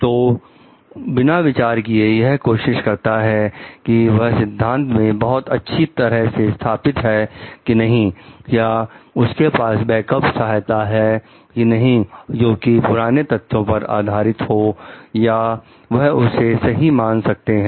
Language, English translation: Hindi, So, without trying to consider whether, they are very well founded in theory whether, do they have backup support for past evidences or they are can be considered right